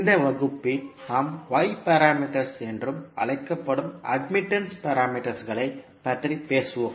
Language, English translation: Tamil, So in this class we will talk about admittance parameters which are also called as Y parameters